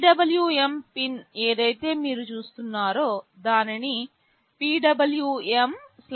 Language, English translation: Telugu, Whatever PWM pin you will see it is written as PWM/D3